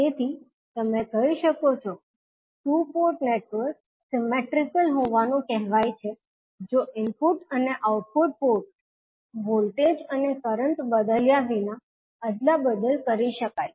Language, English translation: Gujarati, So, what you can say that the two port network is said to be symmetrical if the input and output ports can be interchanged without altering port voltages and currents